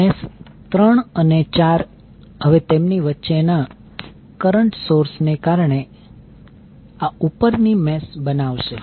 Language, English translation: Gujarati, So meshes 3 and 4 will now form this upper mesh due to current source between them